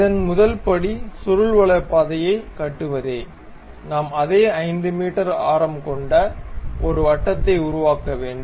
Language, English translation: Tamil, So, the first step is to construct helix we have to make a circle of same 5 meters radius